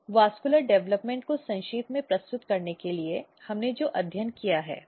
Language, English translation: Hindi, So, in general to summarize the vascular development, so what we have studied